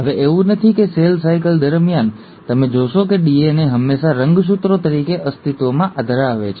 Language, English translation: Gujarati, Now it is not that throughout the cell cycle, you will find that a DNA always exists as a chromosome